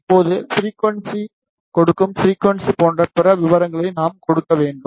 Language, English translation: Tamil, Now, we need to give other details like frequency give frequency